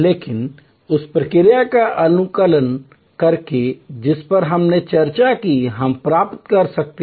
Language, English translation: Hindi, But, by optimizing the process that we discussed we can achieve